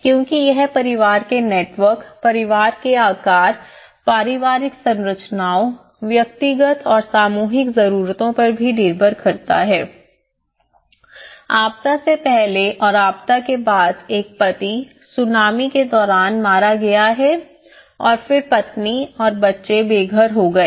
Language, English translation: Hindi, Because, it is also based on the family networks, the family size, the family structures, the individual and collective needs vary, before disaster and after disaster a husband male he has been killed during a tsunami and then the wife and the children will be homeless and livelihood less